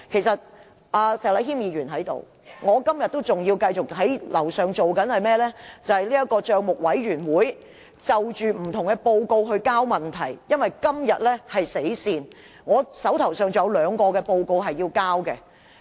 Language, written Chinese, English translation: Cantonese, 石禮謙議員現時在席，我今天仍要在樓上辦公室處理政府帳目委員會就各份報告提交問題的工作，因為今天是"死線"，我還須就兩份報告提交問題。, Mr Abraham SHEK is present now . Today I still have to work in my office upstairs to prepare questions for various reports relating to the Public Accounts Committee PAC as the deadline falls on today . I still have to prepare questions on two more reports